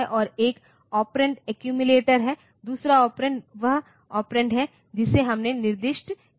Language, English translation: Hindi, And one operand is the accumulator the other, other operand is the other operand is the operand that we have specified